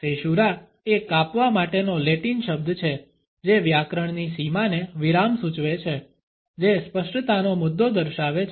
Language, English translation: Gujarati, Caesura is a Latin word for cutting it suggests the break a grammatical boundary a pause which refers to a point of articulation